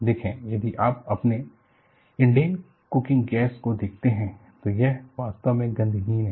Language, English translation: Hindi, See, if you look at your Indane cooking gas, it is actually odorless